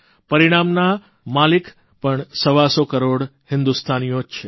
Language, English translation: Gujarati, The outcome also belongs to 125 crore Indians